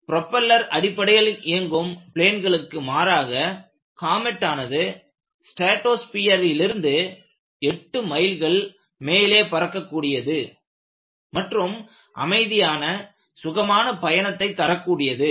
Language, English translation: Tamil, A jet airliner, in contrast to propeller based planes,comet flew above the weather, 8 miles up in the stratosphere, and provided a quiet and smooth ride